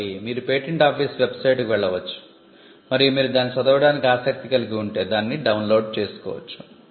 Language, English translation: Telugu, So, you can go to the patent office website and you could download it if you are interested in reading it